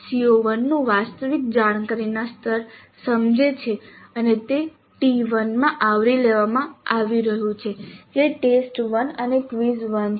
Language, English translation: Gujarati, You can see CO1, the actual cognitive level of CO1 is understand and that is being covered in T1 that is test one and quiz one